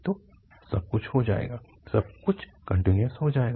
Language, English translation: Hindi, So everything will become, everything will become continuous